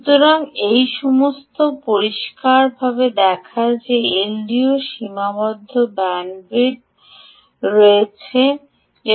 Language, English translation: Bengali, so all this clearly ah shows that l d o's ah have finite bandwidth